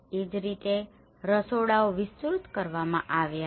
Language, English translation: Gujarati, Similarly, the kitchens were extended